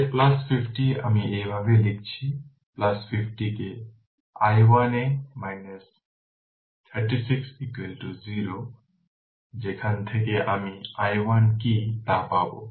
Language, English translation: Bengali, So, plus 50 I am writing like this plus 50 into i 1 by 2 minus 36 is equal to 0, from which we will get what is i 1 right